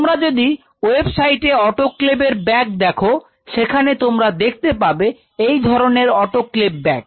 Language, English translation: Bengali, And if you visit websites of autoclave bags autoclave bags, you can see these kind of autoclave bags